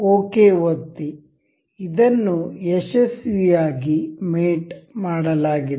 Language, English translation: Kannada, Click ok, this is mated successfully